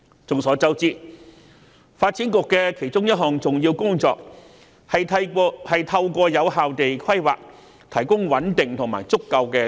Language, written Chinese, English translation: Cantonese, 眾所周知，發展局其中一項重要工作是透過有效的土地規劃，提供穩定和足夠的土地。, As we all know one of the important functions of the Development Bureau is to provide stable and adequate supply of land through effective planning